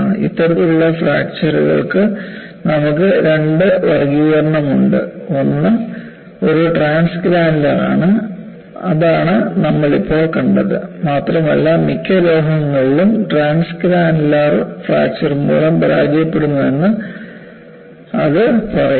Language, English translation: Malayalam, And you also have 2 classification of this kind of fractures; one is a transgranular, that is what we had seen just now, and it says that most metals fail by transgranular fracture